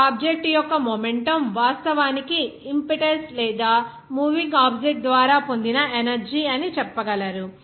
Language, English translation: Telugu, The momentum of an object actually is the impetus or you can say the energy that is gained by a moving object